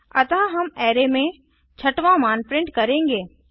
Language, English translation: Hindi, So We shall print the sixth value in the array